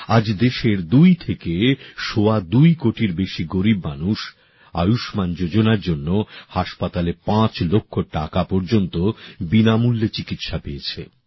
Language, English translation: Bengali, Today, more than two and a half crore impoverished people of the country have got free treatment up to Rs 5 lakh in the hospital under the Ayushman Bharat scheme